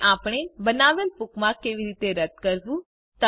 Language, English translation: Gujarati, And how do we delete a bookmark we created